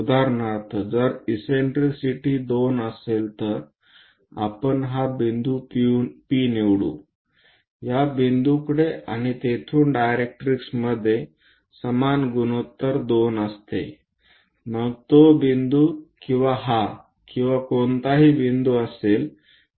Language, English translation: Marathi, For example, if eccentricity is 2, let us pick this point P from focus to that point and from there to directrix its makes equal ratio 2, whether this point or this or any point